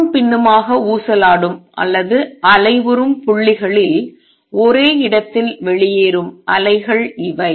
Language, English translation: Tamil, These are waves that just step out at one place in the points oscillating back and forth